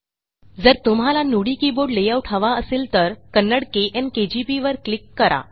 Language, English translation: Marathi, If you want to Nudi keyboard layout, click on the Kannada – KN KGP